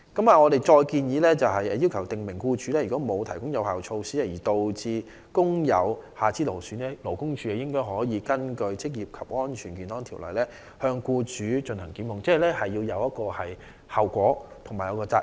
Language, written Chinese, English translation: Cantonese, 我們建議法例訂明如僱主沒有提供有效措施而導致工友出現下肢勞損，勞工處可根據《職業安全及健康條例》檢控僱主，令僱主須承擔後果和責任。, We propose to stipulate in law that in cases where an employee suffers from lower limb disorders as a result of his employers failure to put in place effective measures LD may prosecute the employer under the Occupational Safety and Health Ordinance and require the employer to bear the consequence and liability